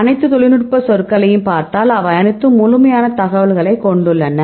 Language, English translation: Tamil, So, you see all the technical terms and, they all the terms you have the a complete information